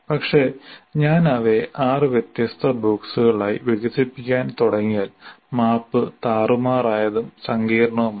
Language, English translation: Malayalam, But if I start expanding like six different boxes, the map becomes a little more messy and complex